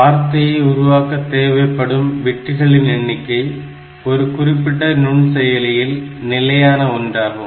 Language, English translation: Tamil, So, the number of bits that form the word of a microprocessor is fixed for a particular processor